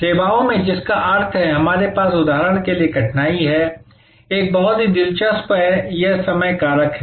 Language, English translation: Hindi, Which means in services, we have difficulty for example, one is very interesting is this time factor